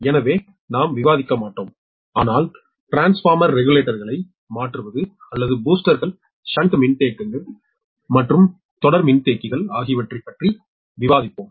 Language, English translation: Tamil, but we will discuss on tap changing transformer regulators or boosters, shunt capacitors and series capacitors